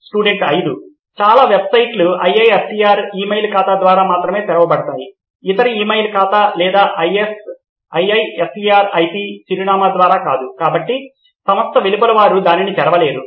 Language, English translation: Telugu, Many websites open by only IISER email account, not by other email account or IISER IP address, so outside of the institute they cannot open it